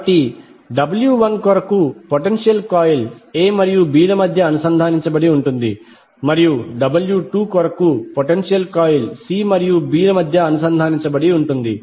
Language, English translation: Telugu, So for W 1 the potential coil is connected between a and b and for W 2 the potential coil is connected between c and b